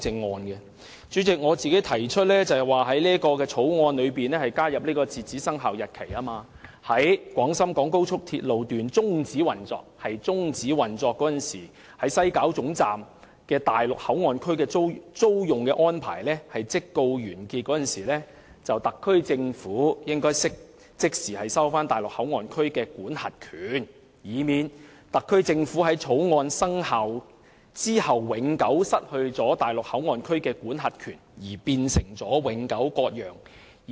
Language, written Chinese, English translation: Cantonese, 代理主席，我提出在《條例草案》加入截止生效日期，訂明該條例在廣深港高速鐵路香港段終止運作的日期起期滿失效。再者，在西九龍站內地口岸區的租用安排完結時，特區政府應即時收回內地口岸區的管轄權，以免特區政府在《條例草案》生效後永久失去內地口岸區的管轄權，變成永久割讓。, Deputy Chairman I propose to include an expiry date in the Bill stipulating that the Ordinance expires on the day of the termination of operation of the Hong Kong Section of the Express Rail Link XRL and that the SAR Government recovers its jurisdiction over the West Kowloon Station WKS Mainland Port Area MPA immediately after the expiry of the WKS MPA lease . The inclusion of an expiry date is to prevent the eternal loss of Hong Kongs jurisdiction over MPA following the commencement of the Ordinance leading to the ceding of Hong Kong land permanently